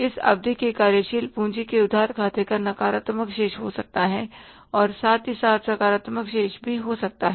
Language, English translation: Hindi, The short, this term, borrowing account, working capital account can have the negative balance also, can have the positive balance also